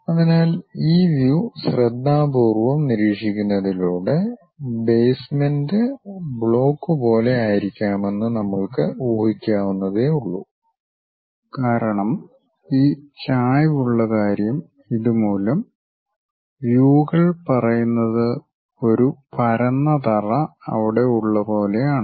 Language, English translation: Malayalam, So, by carefully observing these views we can imagine that, may be the block the basement might look like that and because this inclination thing and because of this, it might be something like it goes in that way where the views tell us something like a flat base is there